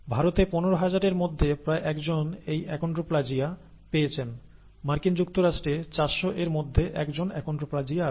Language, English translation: Bengali, In India, about 1 in 15,000 have this achondroplasia, in the US about 1 in 400 have achondroplasia